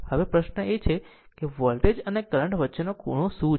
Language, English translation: Gujarati, Now, question is there what is the angle between the voltage and current